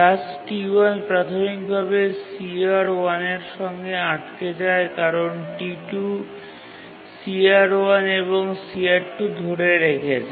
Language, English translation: Bengali, So, task T1 initially blocks for CR1 because T2 is holding CR1 and CR2